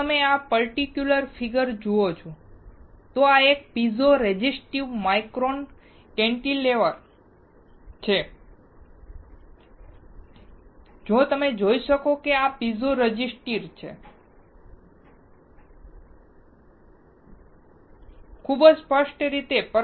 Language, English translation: Gujarati, If you see this particular figure, this is a piezo resistive micro cantilever, you can see this is piezo resistor, very clearly